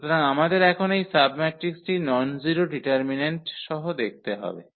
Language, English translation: Bengali, So, we have to see now this submatrix with nonzero determinant